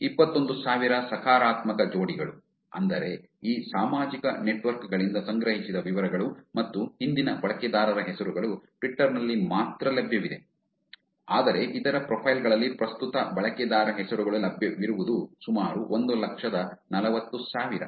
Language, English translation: Kannada, Past usenames were collected, 21,000 possible pairs which is details that collected from these social networks and about past user names are available only on Twitter but current user names are available on other profiles, it is about $120,000